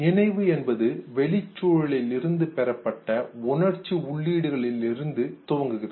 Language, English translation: Tamil, Memory starts with a sensory input received from the environment